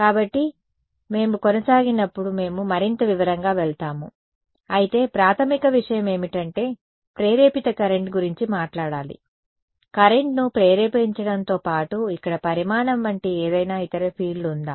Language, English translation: Telugu, So, when we continue we will go more into detail, but the basic point is that we should talk about an induced current in addition to induce current is there any other field like quantity here